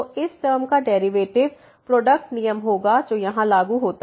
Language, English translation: Hindi, So, the derivative of this term will be the product rule will be applicable here